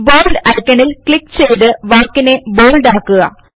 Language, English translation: Malayalam, Now click on the Bold icon to make the text bold